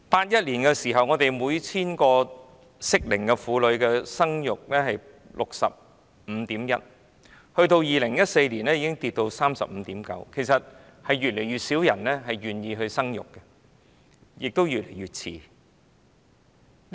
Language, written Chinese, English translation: Cantonese, 1981年，每 1,000 個適齡婦女的生育率是 65.1%，2014 年，生育率下跌至 35.9%， 顯示越來越少人願意生育，市民亦越來越遲生育。, The fertility rate per 1 000 women of childbearing age was 65.1 % in 1981 but it dropped to 35.9 % in 2014 indicating an decreasing number of people who are ready for childbearing and the trend of delayed childbearing